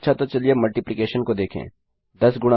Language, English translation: Hindi, Now lets try multiplication